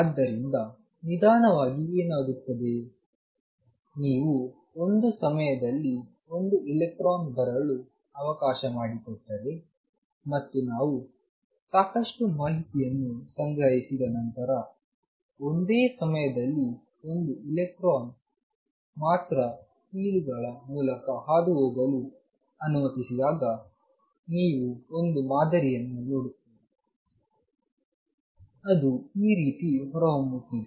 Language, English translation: Kannada, So, what happens when slowly, if you let one electron come at a time and collect a lot of data you even when only one electron is allow to pass through the slits at one time after we collect a lot of data, you see a pattern emerging like this